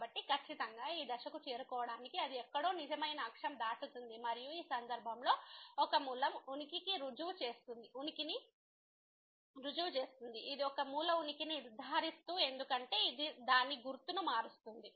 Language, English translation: Telugu, So, definitely to reach to this point it will cross somewhere the real axis and so, that proves the existence of one root in this case which confirms the existence of one root because this is changing its sign